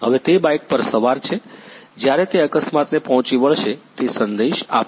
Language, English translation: Gujarati, Now he is riding the bike when he will meet the accident, it will send the message